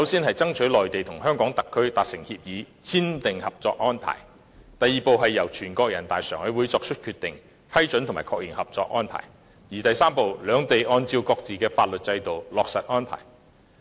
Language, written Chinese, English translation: Cantonese, 第一步，內地與香港特區達成合作安排；第二步，全國人民代表大會常務委員會作出決定，批准及確認合作安排；第三步，兩地按照各自的法律制度落實安排。, Step 1 the Mainland and HKSAR are to reach a cooperation arrangement; Step 2 the Standing Committee of the National Peoples Congress NPCSC makes a decision approving and endorsing the cooperation arrangement; Step 3 the two sides implement the arrangement pursuant to their respective laws